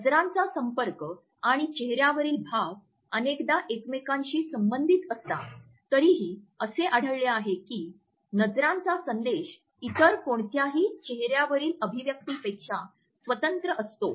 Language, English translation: Marathi, Although eye contact and facial expressions are often linked together we have found that eyes can also communicate message which is independent of any other facial expression